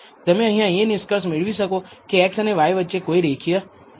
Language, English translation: Gujarati, All you can conclude from this is perhaps there is no linear relationship between x and y